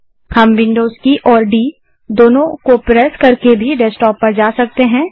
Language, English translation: Hindi, We can go to the Desktop also by pressing Windows key and D simultaneously